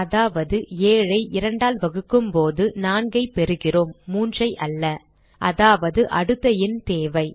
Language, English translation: Tamil, Which means, when 7 is divided by 2, we get 4 and not 3 In simple terms, we need the next number